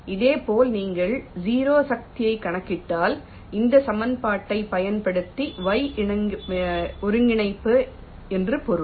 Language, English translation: Tamil, similarly, if you calculate the zero force, i mean y coordinate, using this equation, it will be similar